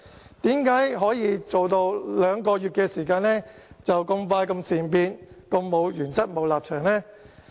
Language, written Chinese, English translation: Cantonese, 為甚麼可以在兩個月時間內便這麼善變，這麼沒有原則和立場呢？, Why can they be so changeable in their principle and stance in just two months?